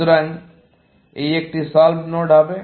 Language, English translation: Bengali, So, this would be a solved node